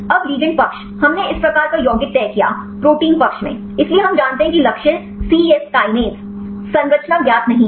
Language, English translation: Hindi, Now the ligand side, we fixed this type of compound; at the protein side, so we know the target is cyes kinase, structure is not known